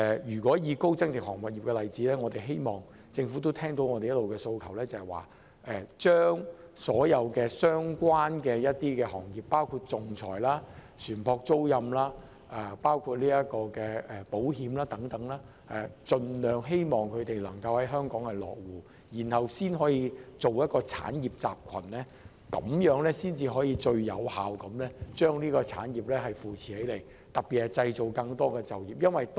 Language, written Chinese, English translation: Cantonese, 以高增值航運業為例，我希望政府聽到我們一直以來的訴求，針對所有相關的行業，包括仲裁、船舶租賃、保險等，盡量吸引外國公司來香港落戶，從而建立一個產業集群，這樣才能最有效扶持整個產業，特別有助製造更多就業機會。, Take the high value - added shipping industry as an example . I hope that the Government will listen to our long - standing aspirations and endeavour to entice foreign companies into establishing their bases in Hong Kong so as to build an industrial cluster of all relevant sectors including arbitration ship leasing and insurance . This will be the only effective way to support the industry as a whole particularly in terms of creating more employment opportunities